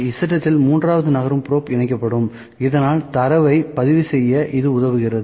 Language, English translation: Tamil, Z axis third moving probe will attached so, that helps us to record the data